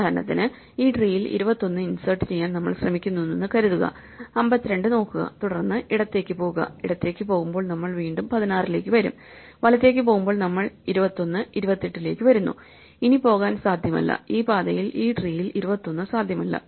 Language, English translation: Malayalam, For example, supposing we try to insert 21 in this tree, when we look at 52 and when go left when we go left then we come to 16 again and we go right then we come to 21, 28 and we find that we have exhausted this path and there is no possible 21 in this tree, but had we found 21 it should be to the left of 28